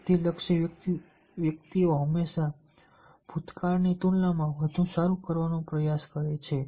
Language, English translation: Gujarati, individuals, the achievement oriented persons, all the time try to do better compared to the past